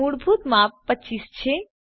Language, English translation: Gujarati, The default size is 25